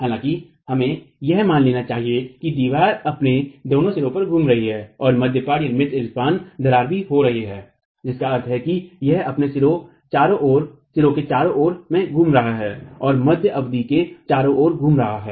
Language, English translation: Hindi, However, let's assume that the wall is rotating at both its ends and a mid span crack is also occurring which means it's rotating about its ends and rotating about the mid span